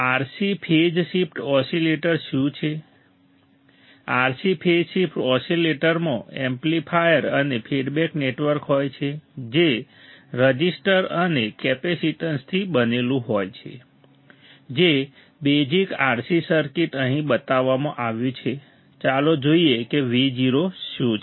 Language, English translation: Gujarati, What are RC phase shift oscillators a RC phase shift oscillator consists of an amplifier and feedback network made up of resistors and capacitances the basic RC circuit is shown here right now let us see what V o is